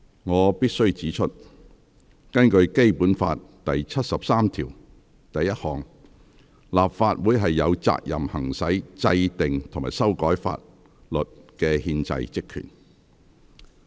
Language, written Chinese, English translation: Cantonese, 我必須指出，根據《基本法》第七十三條第一項，立法會有責任行使制定及修改法律的憲制職權。, I must point out that according to Article 731 of the Basic Law the Legislative Council shall exercise the constitutional powers and functions of enacting and amending laws